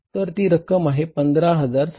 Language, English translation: Marathi, That is 15,758